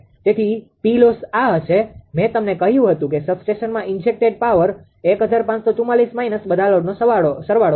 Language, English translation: Gujarati, Therefore, P loss P loss will be this is that power injected at the substation I have told you minus that sum of all the loads